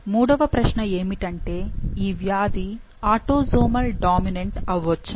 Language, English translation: Telugu, Third question is could this disease be autosomal dominant